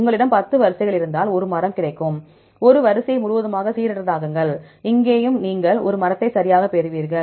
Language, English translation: Tamil, Because you had 10 sequences you will get a tree, if you completely randomize a sequence, there also you get a tree right